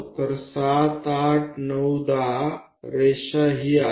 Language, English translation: Marathi, So, 7 8 9 10 10th line is this